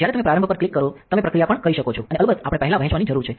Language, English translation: Gujarati, When you click start you can also do processing and of course, we need to dispense first